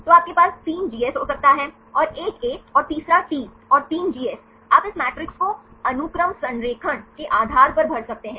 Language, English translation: Hindi, So, you can have 3 Gs, and 1 A and the third 1 T, and 3 Gs, you can fill this matrix based on the sequence alignment